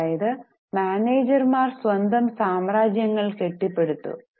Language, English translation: Malayalam, So, managers had built up their own empires